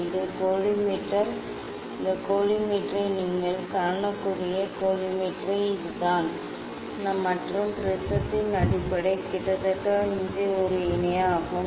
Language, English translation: Tamil, this is the collimator; this is the collimator you can see this collimator and the base of the prism almost is a parallel